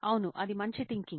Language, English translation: Telugu, Yeah that is a good idea